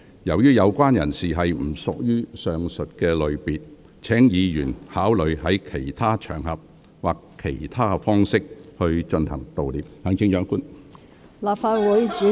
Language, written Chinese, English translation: Cantonese, 由於有關人士不屬於上述類別，請議員考慮在其他場合或以其他方式進行悼念。, Given that the persons in question do not belong to any of the aforesaid categories Members may consider mourning for them on other occasions or in other ways